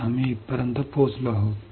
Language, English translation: Marathi, So, we have reached until here